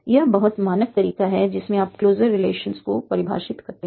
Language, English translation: Hindi, This is a simple, this is very standard way in which we define the closure relations